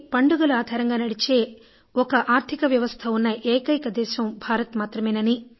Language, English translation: Telugu, At times it feels India is one such country which has a 'festival driven economy'